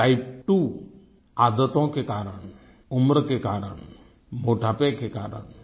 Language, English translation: Hindi, Type 2 is due to your habits, age and obesity